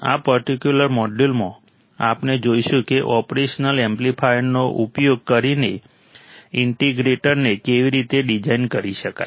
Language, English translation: Gujarati, In this particular module, we will see how the integrator can be designed using an operational amplifier